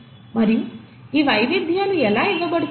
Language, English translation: Telugu, And how are these variations are being passed on